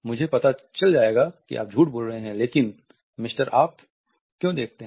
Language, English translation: Hindi, I will know if you are lying, but why mister you see